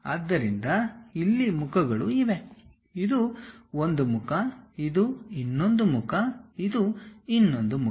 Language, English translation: Kannada, So, here the faces are; this is one face, this is the other face and this is the other face